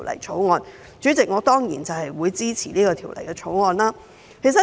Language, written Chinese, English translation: Cantonese, 主席，我當然支持《條例草案》。, President I certainly support the Bill